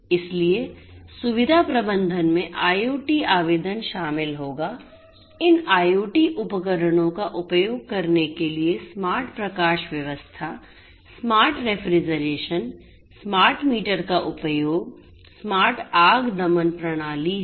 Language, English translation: Hindi, include you know using these IoT devices to have smart lighting, smart refrigeration, use of smart meters, you know smart fire suppression systems